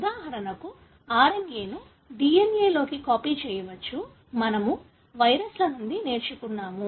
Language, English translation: Telugu, For example, the RNA can be copied into a DNA; that we learnt from viruses